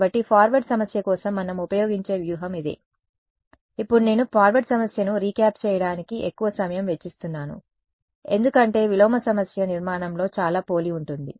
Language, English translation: Telugu, So, we this is the strategy that we use for the forward problem, now the reason I am spending so much time on recapping the forward problem is because the inverse problem is very similar in structure ok